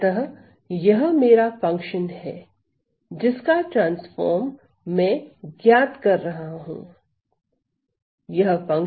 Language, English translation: Hindi, So, this is my function of which I am finding this transform